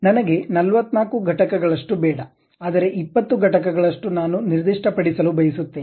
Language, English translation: Kannada, I do not want 44 units, but something like 20 units, I would like to really specify